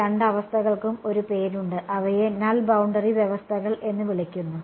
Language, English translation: Malayalam, These two conditions there is a name for them they are called Null boundary conditions